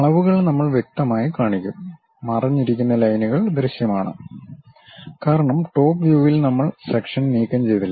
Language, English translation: Malayalam, The dimensions clearly we will show, the hidden lines are clearly visible; because in top view as of now we did not remove the section